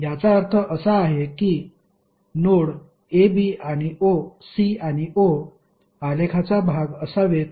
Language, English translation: Marathi, It means that node a, b, c and o should be part of the graph